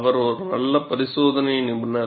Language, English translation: Tamil, He was a good experimentalist